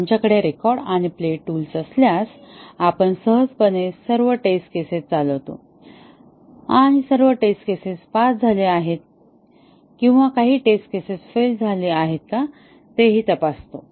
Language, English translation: Marathi, If we have a record and play tool, we just effortlessly run all test cases and check whether all test cases pass or some test cases have failed